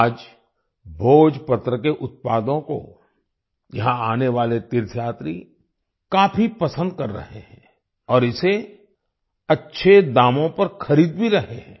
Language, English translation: Hindi, Today, the products of Bhojpatra are very much liked by the pilgrims coming here and are also buying it at good prices